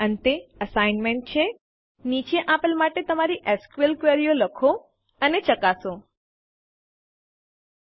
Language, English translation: Gujarati, Here is an assignment: Write and test your SQL queries for the following: 1